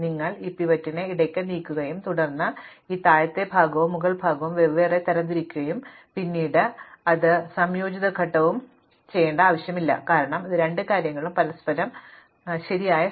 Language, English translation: Malayalam, And you move this pivot in between and then you sort this lower part and upper part separately recursively and then you do not need to do any combining step, because these two things are in the correct position with respect to each other